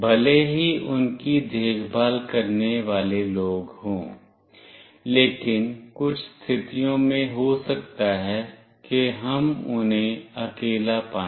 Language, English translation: Hindi, Even if there are people to look after them, but might be in certain situations, we find them all alone